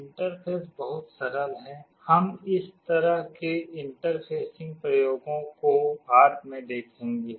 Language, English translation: Hindi, The interface is very simple, we shall be seeing this kind of interfacing experiments later